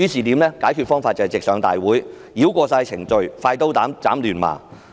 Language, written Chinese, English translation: Cantonese, 解決方法是直上大會，繞過所有程序，"快刀斬亂麻"。, By tabling the Bill to the Legislative Council meeting direct bypassing all the procedures to make swift work of the whole exercise